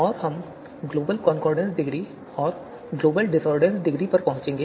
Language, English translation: Hindi, And we will arrive at the global concordance degree and global discordance degree